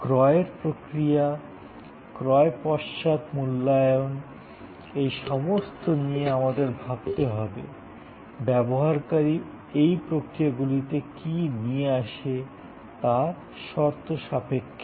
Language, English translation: Bengali, The process of purchase, the post purchase evaluation, all must be thought of in terms of what the user brings to this engagement processes